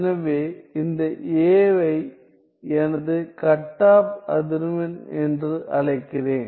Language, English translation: Tamil, So, I call this a as my cutoff frequency